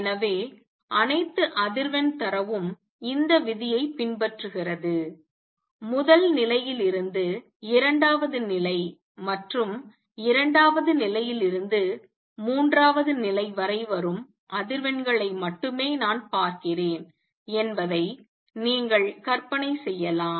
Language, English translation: Tamil, So, all the frequency is data seen follow this rule, you can visualize this that only I see only those frequencies that come from combination of one level to the second level and from second level to the third level I cannot the combine frequency arbitrarily